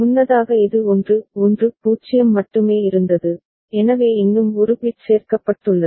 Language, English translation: Tamil, Earlier it was only 1 1 0 so one more bit has been added